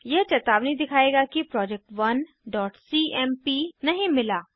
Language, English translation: Hindi, It will show warning saying project1.cmp not found